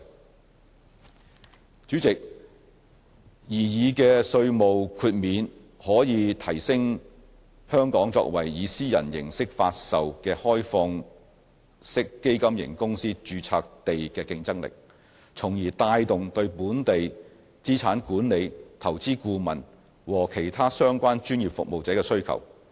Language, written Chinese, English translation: Cantonese, 代理主席，擬議的稅務豁免可以提升香港作為以私人形式發售的開放式基金型公司註冊地的競爭力，從而帶動對本地資產管理、投資顧問和其他相關專業服務者的需求。, Deputy President the proposed tax exemption would be conducive to enhancing Hong Kongs competitiveness in respect of the domiciliation of privately offered OFCs thereby generating demand for local asset management investment and advisory services as well as other relevant professional services